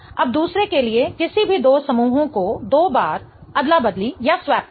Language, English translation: Hindi, Now for this the second one let's swap any two groups twice